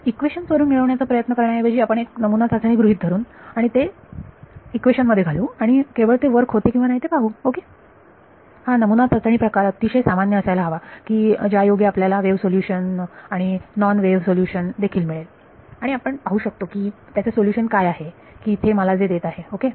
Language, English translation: Marathi, Instead of trying to derive it from the equations we will assume a trial form and push it into the equation and see whether it works ok, and this trail form should be general enough to give wave solution and non wave solution also and we can see what is the solution that it is giving me ok